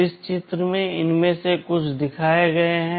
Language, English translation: Hindi, In this diagram some of these are shown